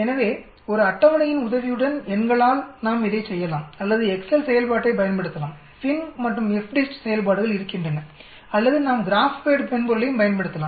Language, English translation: Tamil, So just numerically with the help of a table, we can do this or we can use the excel function FINV and FDIST function are there or we can use the graph pad software also there